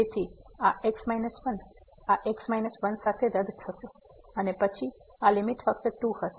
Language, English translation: Gujarati, So, this minus will get cancel with this minus and then this limit will be simply